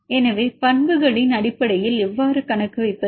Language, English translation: Tamil, So, how to account in terms of properties